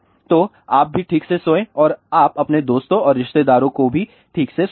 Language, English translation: Hindi, So, you also sleep properly and you let your friends and relatives also sleep properly